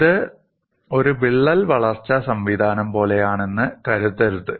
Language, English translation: Malayalam, Do not think that it is like a crack growth mechanism